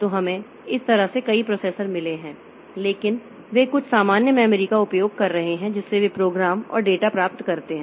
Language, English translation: Hindi, So, what happens is that in this system so we have got a number of processors like this but they are using some common memory by which they from which they get the program and data